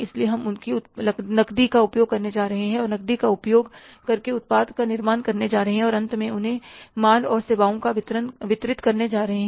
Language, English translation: Hindi, So, we are going to use their cash and going to manufacture the product by using their cash and finally, say, delivering the goods and services to them